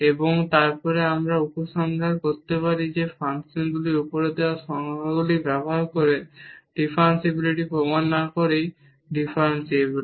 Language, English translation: Bengali, And, then we can conclude that the function is differentiable without proving the differentiability using the definitions here given above